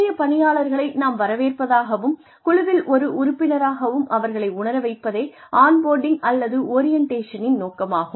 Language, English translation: Tamil, Purposes of on boarding or orientation are, we make the new employee feel welcome, and part of the team